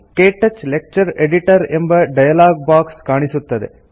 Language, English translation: Kannada, The KTouch Lecture Editor dialogue box appears